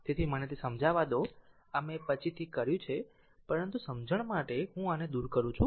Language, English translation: Gujarati, So, let me clean it, this I have done it later, but for your understanding I showed this one